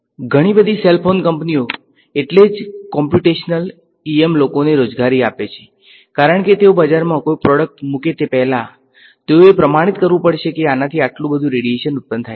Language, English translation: Gujarati, Lot of cell phone companies that is why employ computational EM people; because before they put a product in the market, they have to certify this produces so much radiation things like that